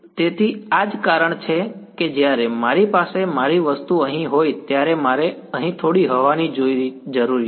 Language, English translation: Gujarati, So, this is why when I have my object over here I need to have some air over here right